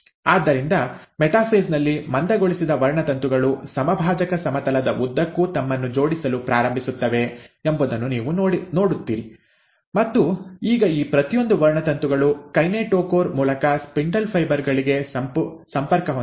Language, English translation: Kannada, So, you find that in metaphase, the condensed chromosomes start arranging themselves along the equatorial plane, and now each of these chromosomes are connected to the spindle fibres through the kinetochore